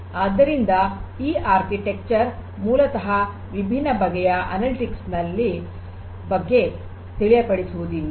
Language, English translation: Kannada, So, this architecture basically does not talk about so many different things of analytics